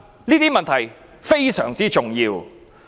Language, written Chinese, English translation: Cantonese, 這些問題非常重要。, These questions are most important